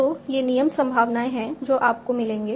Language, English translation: Hindi, So these are the rule probabilities that you will come up with